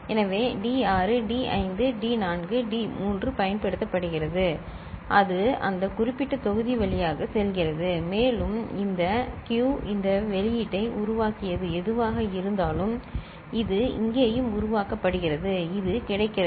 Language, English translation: Tamil, So, D6 D5 D4 D3 that is being used right and it goes through that particular block and the whatever is generated this q this output, it is also generated through here so, this is made available